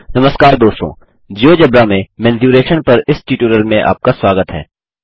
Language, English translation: Hindi, Hello everybody Welcome to this tutorial on Mensuration in Geogebra